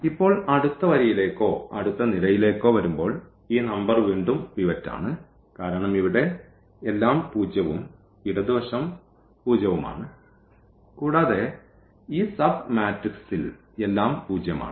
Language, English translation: Malayalam, And, now, here when we come to the next row or next column this number is again pivot because everything here to zero and left to also zero and also in this sub matrix everything is zero